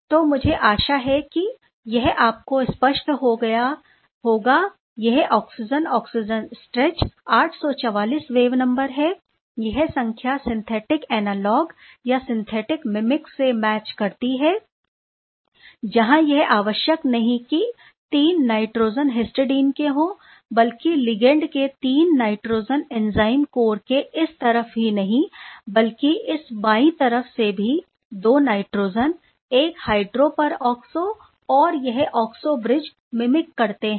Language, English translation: Hindi, So, this is really clear I hope and this oxygen oxygen stretch is 844 wave number exactly the number also matched by the synthetic analogues or synthetic mimic where 3 nitrogen not need not be necessarily histidine, but 3 nitrogen from the ligand is mimicking not only on this side of the enzyme core, but also the left hand side with 2 nitrogen and 1 hydroperoxo along with these oxo bridge